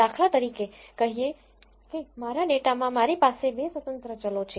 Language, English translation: Gujarati, Say for instance I have 2 independent variables in my data